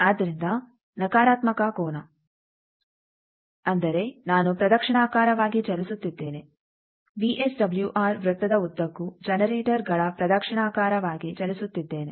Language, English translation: Kannada, So, a negative angle; that means, I am moving along clockwise direction, moving towards generators clockwise motion along VSWR circle